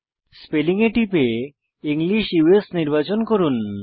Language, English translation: Bengali, Click Spelling and select English US